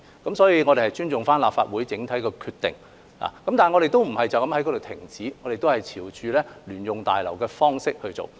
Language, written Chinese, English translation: Cantonese, 因此，我們尊重立法會整體的決定，但我們並無止步於此，仍朝着興建聯用大樓的方向前進。, As such we respected the decision of the Legislative Council as a whole but we have not stopped there . We are still moving toward the direction of constructing a joint - user building